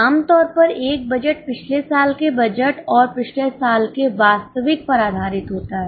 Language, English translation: Hindi, Typically a budget is based on last year's budget and last year's actual